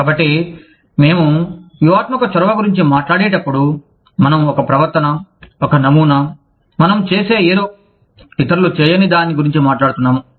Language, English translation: Telugu, So, when we talk about strategic initiative, we are talking about a behavior, a pattern, something that we do, that others do not